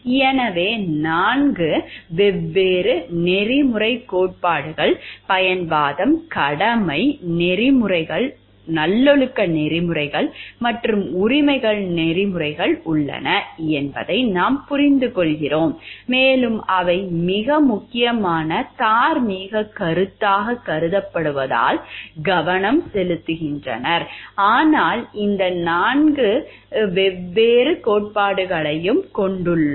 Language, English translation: Tamil, So, what we understand there are 4 different ethical theories, utilitarianism, duty ethics, virtue ethics and rights ethics and they are focused on what is held to be the most important moral concept is different that is why we have these 4 different groups of theories